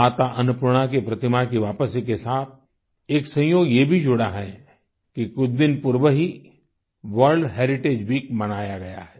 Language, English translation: Hindi, There is a coincidence attached with the return of the idol of Mata Annapurna… World Heritage Week was celebrated only a few days ago